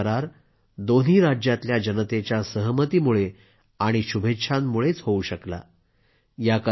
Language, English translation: Marathi, This agreement was made possible only because of the consent and good wishes of people from both the states